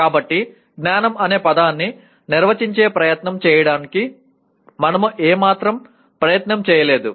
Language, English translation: Telugu, So we did not make any attempt at all to try to define the word knowledge